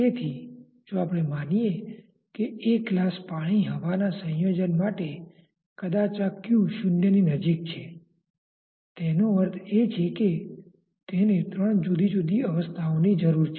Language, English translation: Gujarati, So, if we say that for a glass water combination glass water air combination say this theta is close to zero maybe; that means, that it requires three different phases so to say